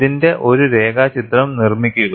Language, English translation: Malayalam, Make a sketch of it